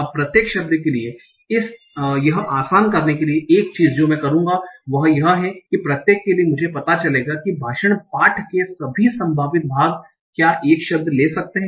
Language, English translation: Hindi, Now for each word, so, so one thing to simplify this I will do is that for each word I will find out what are all the possible part of speech tracks a word can take